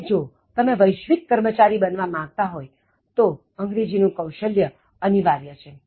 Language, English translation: Gujarati, And, if you want to join the global workforce English Skills is a must